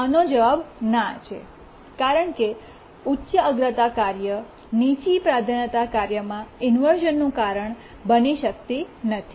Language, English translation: Gujarati, Because a high priority task cannot cause inversion to a low priority task